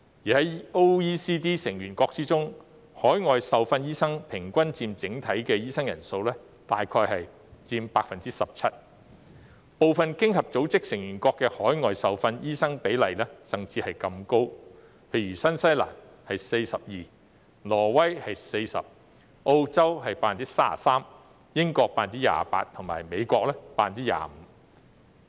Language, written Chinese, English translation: Cantonese, 在 OECD 成員國中，海外受訓醫生平均佔整體醫生人數約 17%， 部分經合組織成員國的海外受訓醫生比例甚至更高，例如新西蘭是 42%， 挪威是 40%， 澳洲是 33%， 英國是 28% 及美國是 25%。, In OECDs member countries overseas doctors account for about 17 % of the overall number of doctors on average . The proportion of overseas doctors in some of its member countries is even higher . For example it is 42 % in New Zealand 40 % in Norway 33 % in Australia 28 % in the United Kingdom and 25 % in the United States